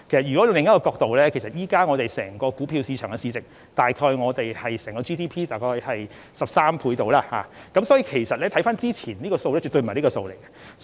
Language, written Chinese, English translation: Cantonese, 從另一角度而言，現時股票市場的市值大約是我們 GDP 的13倍，所以和之前的數字絕不可同日而語。, From another perspective the market capitalization of our stock market now is about 13 times of our GDP and this is a far cry from the previous figures